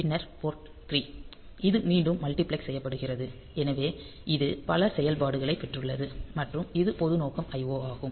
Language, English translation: Tamil, Then port 3; so, this is again multiplexed; so this is for so it has got many functions, so it is general purpose IO